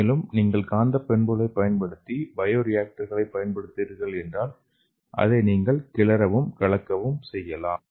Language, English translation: Tamil, And another thing is if you are using the bioreactors using the magnetic properties we can stir it or we can agitate it